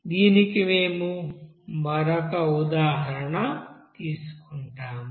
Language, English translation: Telugu, Let us do another example